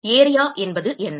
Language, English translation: Tamil, What is the area